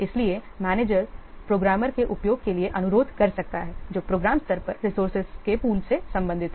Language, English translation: Hindi, So, the manager may request for the use of a programmer who belongs to a pool of resources at the program level